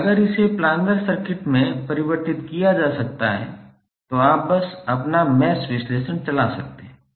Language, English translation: Hindi, And if it can be converted into planar circuit you can simply run your mesh analysis